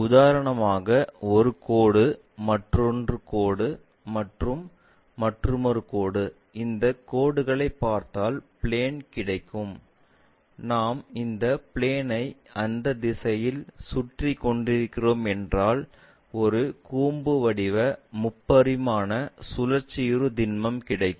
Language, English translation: Tamil, For example, a line another line, and another line, if we join that whatever the plane we get that plane if we are revolving around this axis, then we will end up with a cone a three dimensional solids of revolution we will having